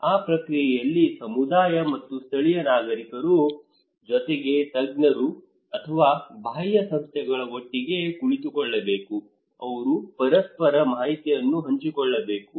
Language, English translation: Kannada, In that process, the community and the local leaders along plus the experts or the external agencies they should sit together, they should share informations with each other